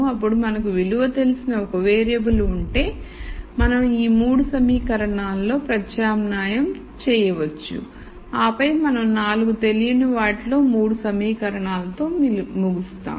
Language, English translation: Telugu, We have let us say 4 variables missing then the 1 variable that we know the value for, we can substitute into these 3 equations and then we will end up with 3 equations in 4 unknowns